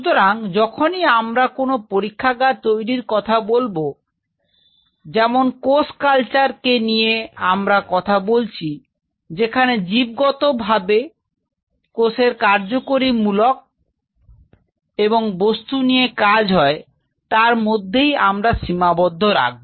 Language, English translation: Bengali, So, whenever we talk about setting up a lab, as perceive of the cell culture which is you are dealing with biologically active material and material which should remain confined within a space